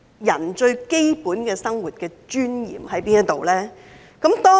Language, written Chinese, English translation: Cantonese, 人最基本的生活尊嚴何在？, What is the most vital dignity of human beings?